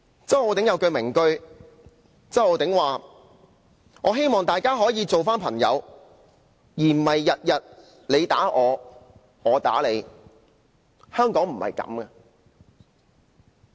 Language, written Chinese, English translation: Cantonese, 周浩鼎議員有一句名句，他說："我希望大家可以重新做朋友，而不是天天你打我，我打你，香港不是這樣的。, Mr Holden CHOW has a famous quote he once said I hope we can be friends again and stop fighting each other every day for Hong Kong is not like that